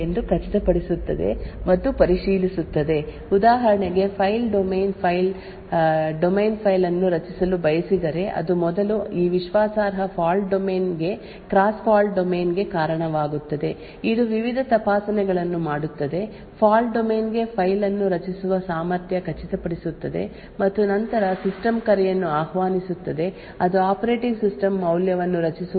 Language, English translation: Kannada, So this particular fault domain would ensure and check whether all system calls are valid so for example if fault domain one wants to create a file it would first result in a cross fault domain to this trusted a fault domain which makes various checks ensures that fault domain has the capability of creating a file and then invokes the system call that would result in the operating system creating a value